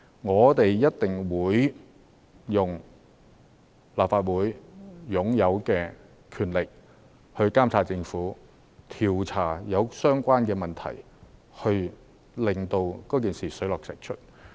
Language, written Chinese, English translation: Cantonese, 我們一定會用立法會擁有的權力來監察政府，調查相關的問題，令事情水落石出。, We surely will exercise the power vested in the Legislative Council to monitor the Government and look into the related matters so that we can uncover the truth behind the incident